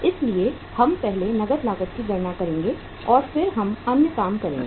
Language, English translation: Hindi, So we will calculate first the cash cost and then we will do the other things